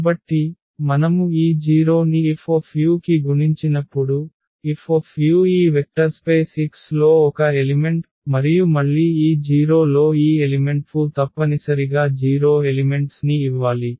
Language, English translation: Telugu, So, when we multiply this 0 to F u, F u is an element in this vector space X and again this 0 into this element F u must give 0 element